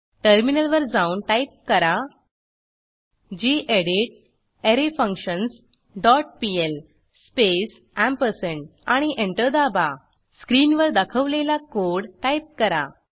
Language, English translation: Marathi, Switch to terminal and type gedit arrayFunctions dot pl space ampersand and Press Enter Type the following piece of code as shown on screen